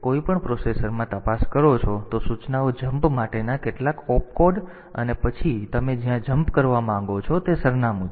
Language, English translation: Gujarati, So, in; if you look into any processor the instructions are like some op code for jump and then the address to where you want to jump